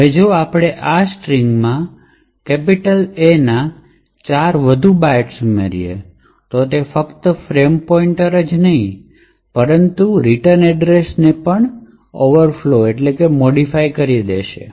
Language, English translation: Gujarati, Now if we add 4 more bytes of A to this particular string, it would be not just the frame pointer but also the return address which gets modified on the stack